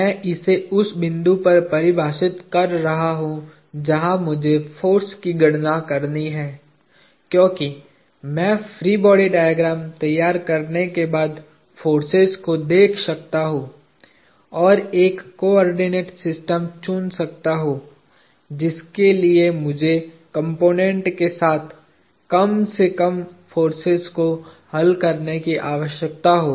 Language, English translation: Hindi, I am defining it at a point where I have to do the force computation; because I can look at the forces, after I have drawn the free body diagram and choose a coordinate system that would require me to resolve the least number of forces along as components